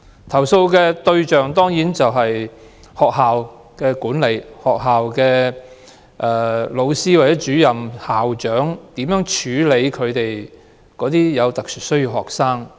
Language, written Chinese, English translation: Cantonese, 投訴對象當然是學校的管理層、教師、主任或校長，並關乎他們如何處理有特殊需要的學生。, The targets of the complaints are certainly the schools management teachers department heads or school principals and the complaints are about how they deal with SEN students